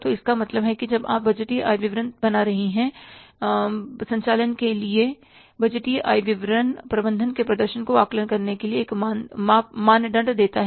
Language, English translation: Hindi, So, it means when you are preparing the budgeted income statement, budgeted income statement from operations is offer a benchmark for judging the management performance